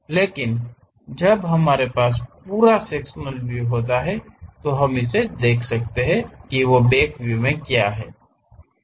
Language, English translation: Hindi, But, when we have this full sectional view, we can really see what is there at background also